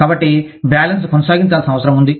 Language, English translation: Telugu, So, balance needs to be maintained